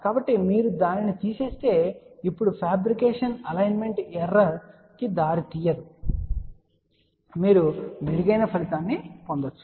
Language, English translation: Telugu, So, if you just remove that now the fabrication will not lead to much of a alignment error at all and you can get a much better result